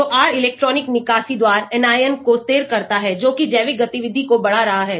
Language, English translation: Hindi, so R stabilizes the anion by electron withdrawal that is increasing biological activity